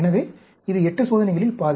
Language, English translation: Tamil, So, it is half of 8 experiments